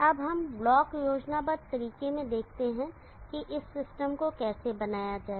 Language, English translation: Hindi, Now let us see in a block schematic way how to build this system